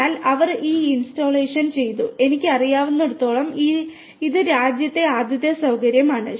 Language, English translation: Malayalam, So, they have done this installation and this is as far as I know of this is the first such facility in the nation